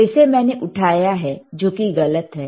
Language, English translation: Hindi, So, again I have lifted, which it is wrong,